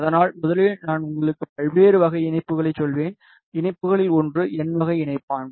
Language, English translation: Tamil, firstly I will tell you the various type of connectors one of the connector is n type connector